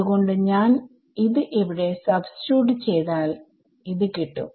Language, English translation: Malayalam, So, I can just substitute it over here and I get it ok